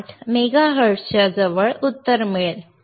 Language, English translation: Marathi, 128 mega hertz, will get answer close to 1